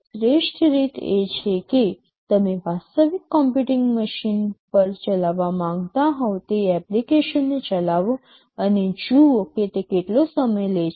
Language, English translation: Gujarati, The best way is to run the application you want to run on a real computing machine and see how much time it takes